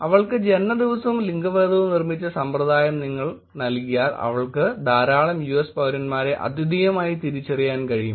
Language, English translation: Malayalam, She was able to identify if you give the system that she built birth day and gender she was able to re identify a lot of US citizens uniquely